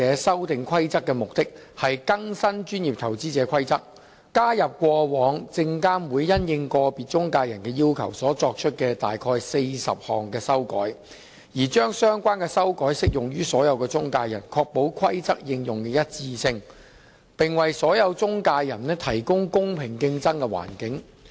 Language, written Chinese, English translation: Cantonese, 《修訂規則》的目的是更新《證券及期貨規則》，加入過往證券及期貨事務監察委員會因應個別中介人的要求所作出的約40項修改，將相關修改適用於所有中介人，確保《規則》應用的一致性，並為所有中介人提供公平競爭的環境。, The Amendment Rules aim at updating the Securities and Futures Rules to incorporate about 40 modifications that the Securities and Futures Commission SFC has granted over the years in response to requests made by individual intermediaries so as to make the relevant modifications universally applicable for the sake of ensuring consistency in the Rules application and providing a level playing field for all intermediaries